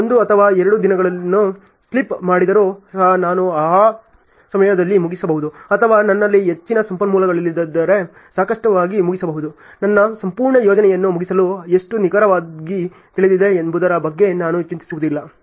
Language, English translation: Kannada, Even if I slip one or two days still I could finish in the respective time or if I have more resources then obviously, I am not going to worry about how know meticulously to finish my whole project